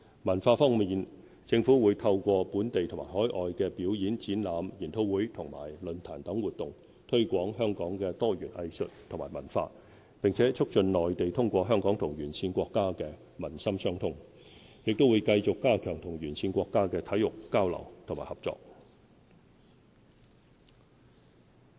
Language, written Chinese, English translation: Cantonese, 文化方面，政府會透過本地和海外的表演、展覽、研討會和論壇等活動，推廣香港的多元藝術及文化，並促進內地通過香港與沿線國家的民心相通，也會繼續加強與沿線國家的體育交流和合作。, On the cultural front the Government will promote Hong Kongs broad spectrum of arts and culture by organizing performances exhibitions seminars and forums locally and overseas and foster people - to - people bonds between the Mainland and countries along the Belt and Road through Hong Kong . We will also continue to strengthen our exchanges and cooperation in sports with these countries